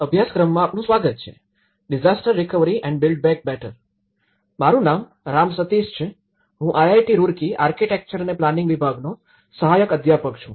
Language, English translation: Gujarati, Welcome to the course; disaster recovery and build back better, my name is Ram Sateesh, I am an Assistant Professor in Department of Architecture and Planning, Indian Institute of Technology, Roorkee